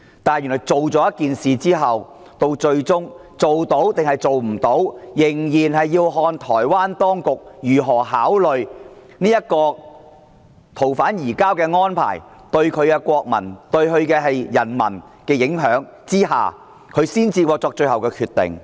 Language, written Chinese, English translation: Cantonese, 但是，原來通過《條例草案》後，最終能否彰顯公義，仍然要視乎台灣當局如何考慮這個逃犯移交安排，對台灣人民的影響後，由台灣當局作最後決定。, However it turns out that whether justice can be manifested after passing the Bill depends on the final decision of the Taiwanese authorities after considering the effect of the arrangement for surrendering fugitive offenders on the Taiwanese